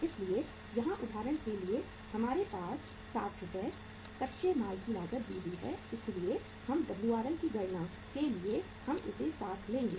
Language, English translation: Hindi, So here for example we have the 60 Rs raw material cost for calculating Wrm we will take this 60